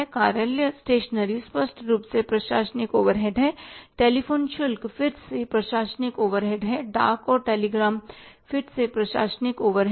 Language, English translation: Hindi, Office stationery clearly is administrative overhead, telephone charges again an administrative overhead, postage and telegram is again a administrative overhead